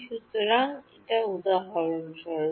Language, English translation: Bengali, So, for example